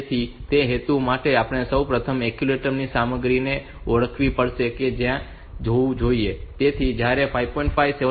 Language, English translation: Gujarati, So, for that purpose we have to first identify the content of the accumulator that it should be there, so we want to enable 5